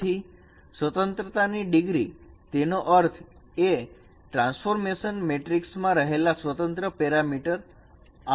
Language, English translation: Gujarati, So the degree of freedom, that means the number of independent parameters in the transferation matrix is 8